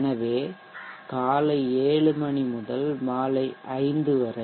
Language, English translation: Tamil, So around 7am to 5 p